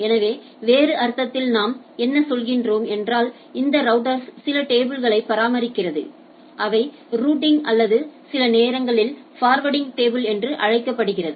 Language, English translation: Tamil, So, what we what in other sense what we say these are the router maintains a table which is called Routing or sometimes Forwarding Table which allows to forward these things to the destination right